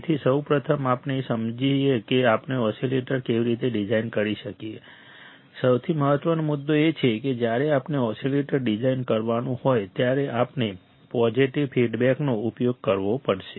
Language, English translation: Gujarati, So, first before we understand how we can design the oscillator, the most important point is that when we have to design a oscillator we have to use positive feedback we have to use positive feedback; in case of amplifiers we were using negative feedback